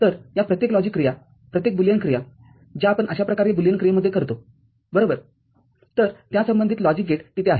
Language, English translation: Marathi, So, each of these logic operation, each of the Boolean operation that we do in the case of a Boolean function like this right, so for that a corresponding logic gate is there